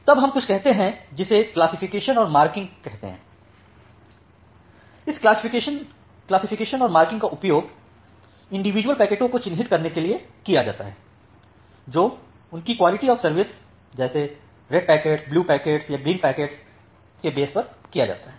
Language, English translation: Hindi, So, this classification and marking it is used to mark individual packets, based on their quality of service classes like the red packets, blue packets or green packets